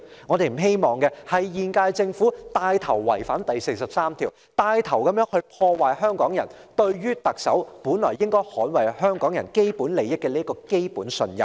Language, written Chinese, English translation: Cantonese, 我們不希望現屆政府牽頭違反《基本法》第四十三條，牽頭破壞香港人對特首應該捍衞香港人基本利益的基本信任。, We do not wish to see the Government of the current term taking the lead to violate Article 43 of the Basic Law sabotaging the basic trust of the people of Hong Kong in the Chief Executive defending as a matter of course the fundamental interests of the people of Hong Kong